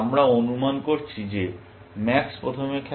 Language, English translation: Bengali, We are assuming that max plays first